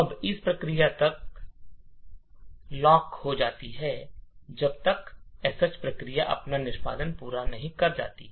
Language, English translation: Hindi, Now the one process is locked until the sh process completes its execution